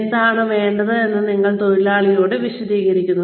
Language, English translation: Malayalam, You explain to the worker, what is required